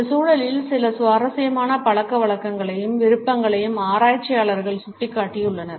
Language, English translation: Tamil, Researchers have pointed out some very interesting habits and preferences in this context